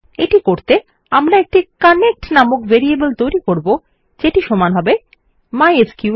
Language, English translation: Bengali, To do this we create a variable called connect equal to mysql connect